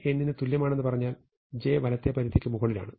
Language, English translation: Malayalam, So, j is equal to n means it is actually beyond the right point